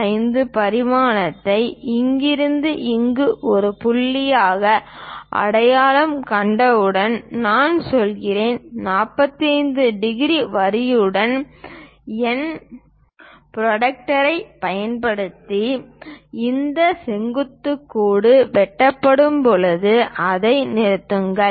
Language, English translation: Tamil, 5 dimension from here to here as a point then, I go ahead using my protractor with 45 degrees line and stop it when it is these vertical line going to intersect